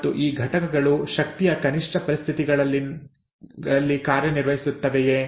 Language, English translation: Kannada, And do these units function under energy minimum conditions unlikely, right